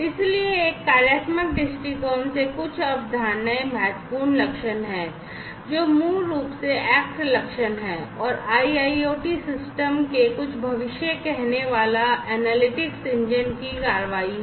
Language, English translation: Hindi, So, from a functional viewpoint few concepts are important prognostics, which is basically the act prognostics, basically is the action of some predictive analytics engine of the IIoT system